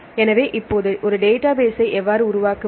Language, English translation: Tamil, So, now how to develop a database